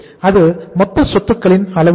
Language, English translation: Tamil, So what is the level of total assets